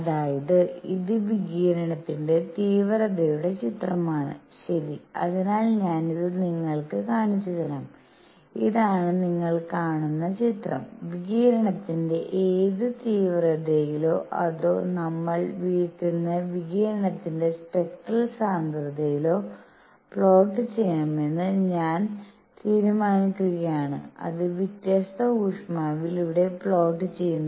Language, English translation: Malayalam, So, this is the image of intensity of radiation, alright, so let me also show it to you; this is the image which you see and I will decide if it for in which intensity of radiation or what we will call spectral density of radiation is plotted and it is plotted at different temperatures